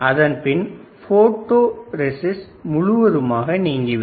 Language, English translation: Tamil, I have to remove the photoresist